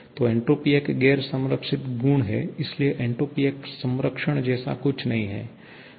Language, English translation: Hindi, So, entropy is a non conserved property, so there is nothing like conservation of entropy